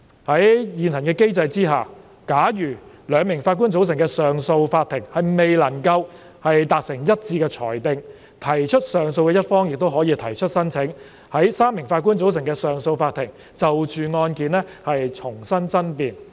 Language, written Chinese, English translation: Cantonese, 在現行機制下，假如由兩名法官組成的上訴法庭未能達成一致的裁定，提出上訴的一方亦可以提出申請，在由3名法官組成的上訴法庭就着案件重新爭辯。, In the event of 2 - Judge CA not being able to reach a unanimous decision the party lodging appeal can apply to have the case re - argued before a 3 - Judge CA under the current mechanism